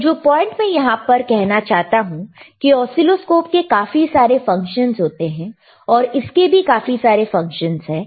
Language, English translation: Hindi, So, the point that I was making is, now this oscilloscope has several functions, with this oscilloscope also has it